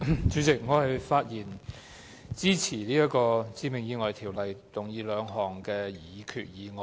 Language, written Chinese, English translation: Cantonese, 主席，我發言支持根據《致命意外條例》動議的兩項擬議決議案。, President I rise to speak in support of the two proposed resolutions under the Fatal Accidents Ordinance